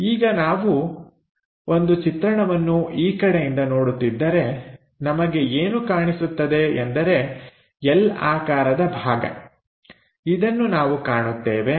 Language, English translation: Kannada, Now, if we are looking a view from this direction, what we are supposed to see is this L portion, we are supposed to see